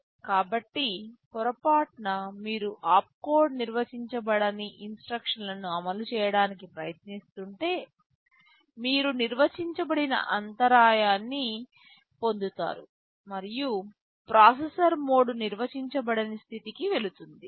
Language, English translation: Telugu, So, if by mistake you are trying to execute an instruction whose opcode is undefined, you get an undefined interrupt and the processor mode goes to undefined state und